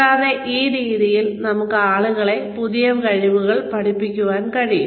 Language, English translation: Malayalam, And, this way we can teach people new skills